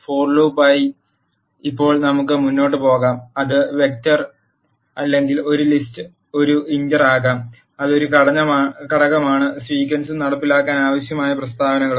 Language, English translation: Malayalam, Now let us move on to the for loop the structure of for loop construct comprises of a sequence which could be a vector or a list an iter which is an element of the sequence and the statements that are needed to be executed